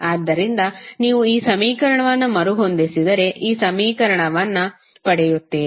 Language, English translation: Kannada, So, if you rearrange this equation you will simply get this equation